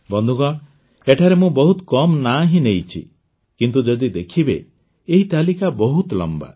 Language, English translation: Odia, Friends, I have mentioned just a few names here, whereas, if you see, this list is very long